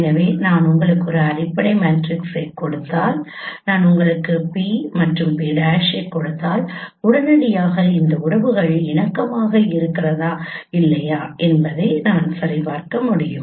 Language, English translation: Tamil, So if I give you a fundamental matrix and if I give you p and p prime immediately I can check with this relationship whether they are compatible or not